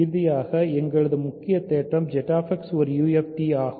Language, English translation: Tamil, So, finally, our main theorem Z X is a UFD